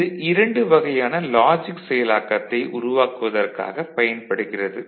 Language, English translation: Tamil, And this is used for generating 2 different logic operations ok